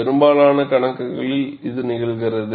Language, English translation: Tamil, This happens in most of the problems